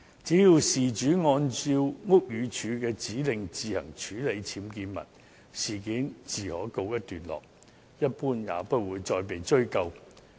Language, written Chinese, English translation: Cantonese, 只要事主按照屋宇署的指令自行處理僭建物，事件自可告一段落，一般也不會再被追究。, As long as the owner follows the Buildings Departments instructions and deals with the UBWs voluntarily the issue is considered to be settled and no charges will be made